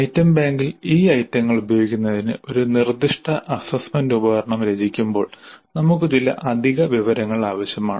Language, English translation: Malayalam, And in order to make use of these items in the item bank while composing in a specific assessment instrument we need some additional information